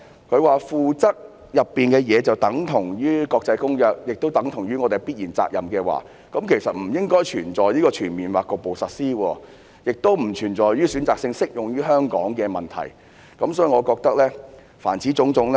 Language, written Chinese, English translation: Cantonese, 局長指附則的內容等同於《公約》，亦等同於我們的必然責任，這樣的話，那便"全面或局部實施"這句便不應存在，《公約》條文選擇性適用於香港的問題亦不應存在。, If the Secretary says that the contents of the Annex mentioned in the Bill are the same as those of the Annex to the Convention and therefore impose a necessary duty on us then I will say that the phrase should be left out and the selective application of the Conventions provisions to Hong Kong should likewise be out of the question